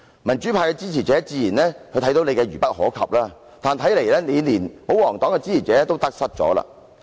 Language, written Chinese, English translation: Cantonese, 民主派的支持者自然早已看出你愚不可及，但看來你連保皇黨的支持者也得失了。, Naturally supporters of the democratic camp have noticed for a long time that you are a fool but it seems that you have even offended the supporters of the royalist camp